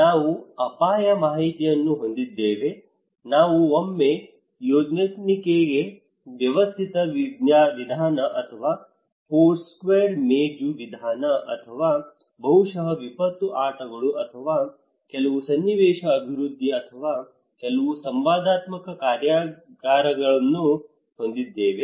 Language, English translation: Kannada, We have risk mapping, we have Yonnmenkaigi system method or Foursquare table method or maybe disaster games or maybe some scenario development or some interactive workshops